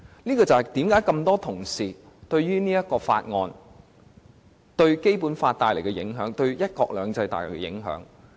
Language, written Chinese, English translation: Cantonese, 這就是多位同事擔心《條例草案》對《基本法》和"一國兩制"造成影響的原因。, This explains why a number of Honourable colleagues are concerned about the impact of the Bill on the Basic Law and one country two systems